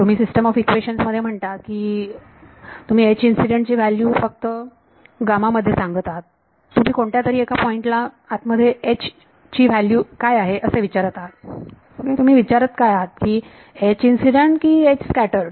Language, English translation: Marathi, You are telling the in a system of equations you are telling the value of H incident only on gamma you are asking what is H inside at some point what are you asking H or H incident or H scattered